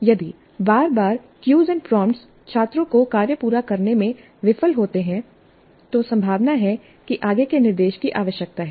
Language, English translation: Hindi, And if repeated cues and prompts fail to get the students complete the task, it is likely that further instruction is required